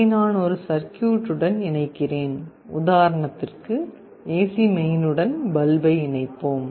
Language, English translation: Tamil, This I am connecting to a circuit, let us say a bulb to the AC mains